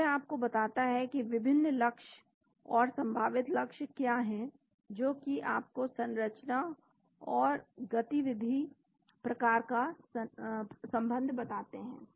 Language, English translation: Hindi, So, it tells you what are the different targets and possible targets making you the structure activity type of relationship